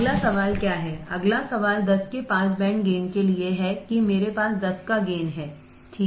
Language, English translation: Hindi, What is the next question next question is for a pass band gain of 10 that is I have a gain of 10, right